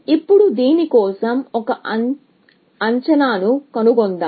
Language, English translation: Telugu, Now, let us find an estimate for this